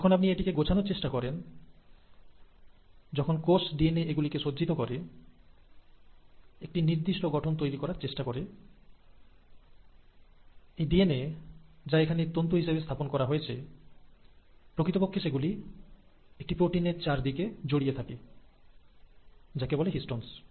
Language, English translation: Bengali, When you want to package it, when the cell wants to package this DNA into a compact structure, this DNA, here it's represented as a string, actually winds around a set of proteins called as the ‘Histones’